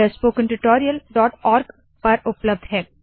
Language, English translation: Hindi, These are available at spoken tutorial.org website